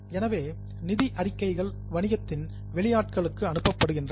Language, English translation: Tamil, So, financial statements are passed on to outsiders of the business